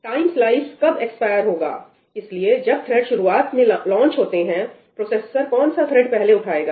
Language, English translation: Hindi, So, when the threads are initially launched, which thread does the processor pick up first